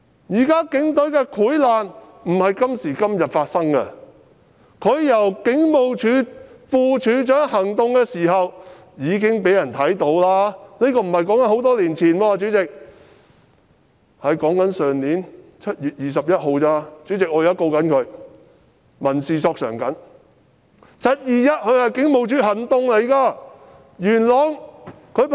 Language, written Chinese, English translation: Cantonese, 警隊現在的潰爛不是今時今日才發生，他出任警務處副處長時已被人看到他的問題，這不是很久以前的事，主席，我說的只是去年7月21日——主席，我現正循民事訴訟控告他和向他索償。, The rotting of the Police as we now see does not just happen today . His problems were already revealed during his office as the Deputy Commissioner of Police Operations which was not long ago and Chairman I am talking about what happened only on 21 July last year―Chairman I have taken civil actions against him and filed a claim for compensation